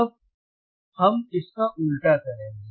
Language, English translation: Hindi, Now we will do the reverse of this,